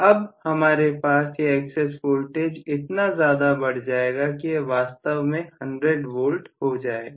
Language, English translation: Hindi, Now I am going to have an excess voltage of much higher voltage which is actually 100 V